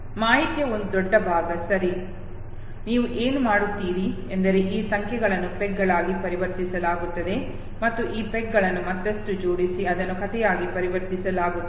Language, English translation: Kannada, A bigger chunk of information okay, what you do is these numbers are converted into pegs and these pegs are further attached together to convert it into a story